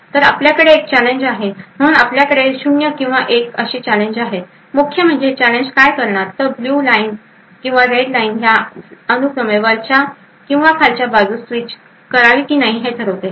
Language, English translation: Marathi, So, we also have a challenge which is present, so we have challenges which is 0 or 1, and essentially what the challenge does is that it decides whether the blue line or the red line should be switched on top or bottom respectively